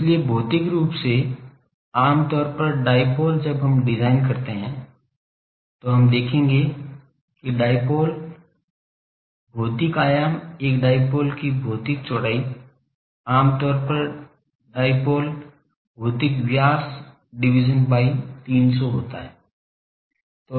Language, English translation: Hindi, So, physical generally dipoles, when we design we will see that dipoles, the physical dimension a physical width of a dipole is generally the then a physical diameters of dipole are lambda by 300